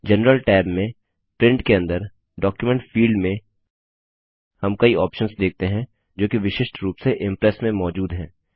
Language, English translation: Hindi, In the General tab, under Print, in the Document field, we see various options which are unique to Impress